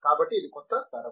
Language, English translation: Telugu, So this is the new generation